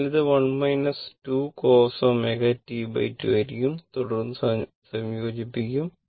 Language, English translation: Malayalam, So, it will be 1 minus cos 2 omega t by 2 and then you integrate right